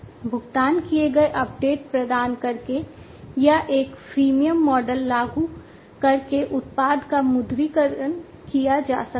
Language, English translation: Hindi, The product can be monetized by providing paid updates or by implementing a freemium model